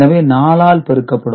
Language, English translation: Tamil, So, it is multiplied by 2